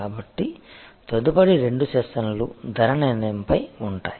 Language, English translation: Telugu, So, next two sessions will be on pricing